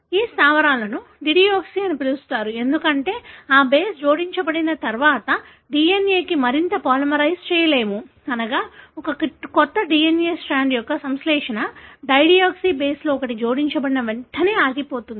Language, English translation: Telugu, These bases are called as dideoxy, because once that base gets added, the DNA cannot be polymerized any further, meaning the synthesis of a new DNA strand would stop as soon as one of the dideoxy base is added